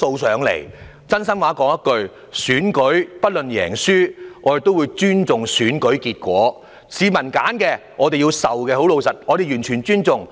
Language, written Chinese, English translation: Cantonese, 說一句真心話，無論選舉是贏是輸，我們也會尊重選舉結果，接受市民所選。, To be honest whether we win or lose in the election we will accept the results and the choice of the people